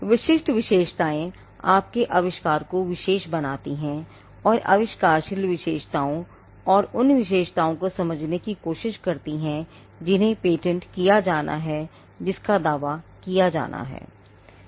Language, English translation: Hindi, Specific features, that distinguish your invention now the specific features is, where we try to understand the inventive features and the ones that have to be patented, that has to be claimed